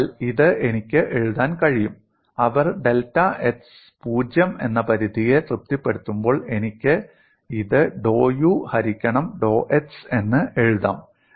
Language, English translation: Malayalam, So this I could write it, as when the satisfy the limit x tends to 0, I can simply write this as dou u by dou x